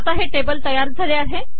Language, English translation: Marathi, So it has created the table